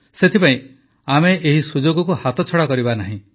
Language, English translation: Odia, So, we should not let this opportunity pass